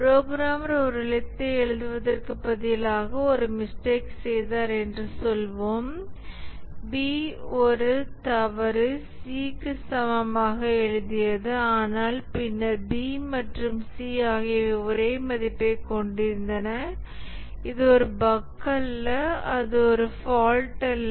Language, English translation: Tamil, Let's say the programmer made a mistake instead of writing A is equal to B, made a mistake wrote A equal to C but then it so happened that B and C had the same value and therefore it's not a bug it's not a fault but it was a mistake on the part of the programmer